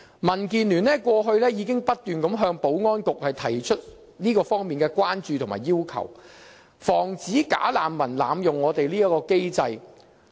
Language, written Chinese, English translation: Cantonese, 民建聯過去已不斷向保安局提出這方面的關注和要求，防止"假難民"濫用我們這項機制。, The Democratic Alliance for the Betterment and Progress of Hong Kong has long been arousing concerns and making requests to the Security Bureau against the abuses of the system by bogus refugees